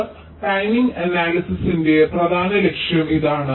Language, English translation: Malayalam, so this is the main objective of timing analysis